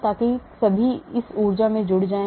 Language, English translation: Hindi, So that all adds up to this energy